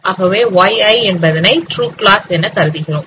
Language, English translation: Tamil, So we consider the Y is a true class